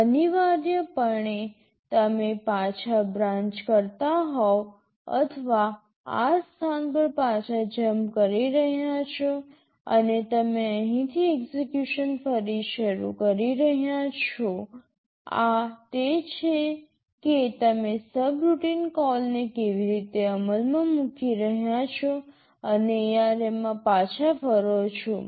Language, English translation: Gujarati, Essentially you are branching back or jumping back to this location and you are resuming execution from here okThis is how you are implementing subroutine call and return in ARM